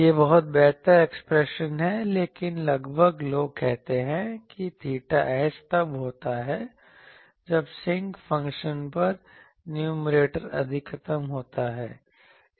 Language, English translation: Hindi, This is much better expression, but approximately people say that theta s happens when numerator of sinc function is maximum